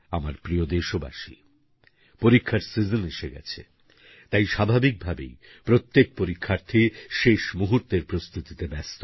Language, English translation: Bengali, My dear countrymen, the exam season has arrived, and obviously all the students will be busy giving final shape to their preparations